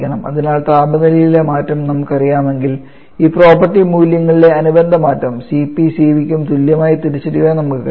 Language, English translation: Malayalam, We should be able to identify the corresponding change in this property values same for Cp and Cv